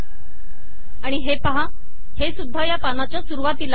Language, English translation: Marathi, So it has also been put at the top of this page